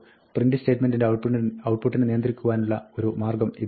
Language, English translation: Malayalam, This is one way to control the output of a print statement